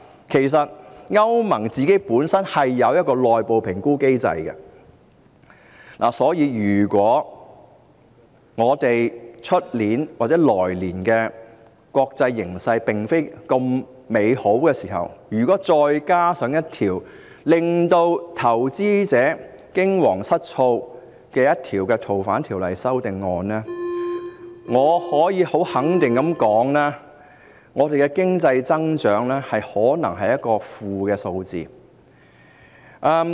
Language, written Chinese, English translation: Cantonese, 其實，歐盟本身是有內部評估機制的，所以，如果我們明年的國際形勢並非那麼美好，再加上這項令投資者驚惶失措的條例草案，我可以很肯定地說，我們的經濟增長可能出現負數值。, Actually EU has its internal assessment mechanism . So if the international developments next year are not that promising coupled with this Bill which terrifies the investors I can assert that our economic growth is likely to register a negative value